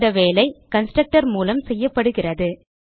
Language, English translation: Tamil, This work is done by the constructor